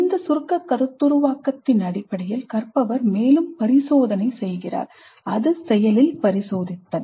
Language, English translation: Tamil, Based on this abstract conceptualization, learner does further experimentation, active experimentation